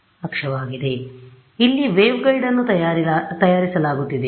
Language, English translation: Kannada, So, here the waveguide is being made